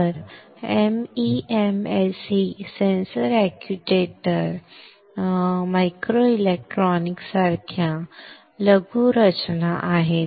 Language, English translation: Marathi, So, MEMS are miniaturized structures such as sensors actuators microelectronics